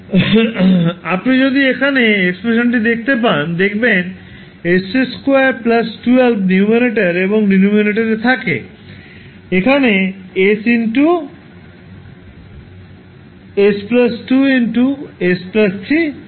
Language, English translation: Bengali, So, if you see the expression here, s square plus 12 is there in the numerator and in the denominator we have s into s plus 2 into s plus 3